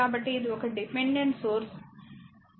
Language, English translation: Telugu, So, this is a dependent source that is ah i actually current is 0